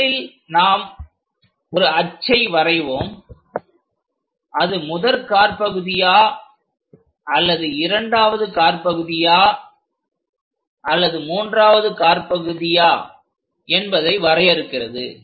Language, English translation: Tamil, Let us consider these are the axis which are going to define whether something is in first quadrant or second quadrant or third quadrant